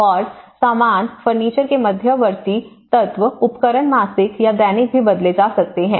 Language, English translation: Hindi, And the stuff, the intermediate elements of furniture, appliances may change even monthly or even daily